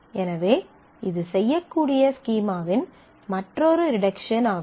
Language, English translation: Tamil, So, that is another reduction of schema that can be done